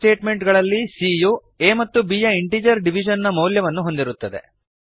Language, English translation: Kannada, In these statements, c holds the value of integer division of a by b